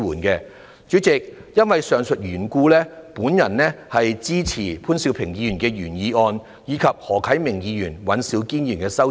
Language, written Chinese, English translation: Cantonese, 代理主席，基於上述原因，我支持潘兆平議員的原議案，以及何啟明議員及尹兆堅議員的修正案。, Deputy President based on the above reasons I support Mr POON Siu - pings original motion and the amendments proposed by Mr HO Kai - ming and Mr Andrew WAN